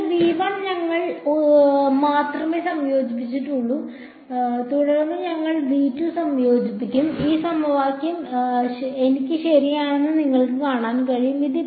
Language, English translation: Malayalam, So, we integrated only on v 1, then we will integrate only on v 2 and you can see that this equation that I have right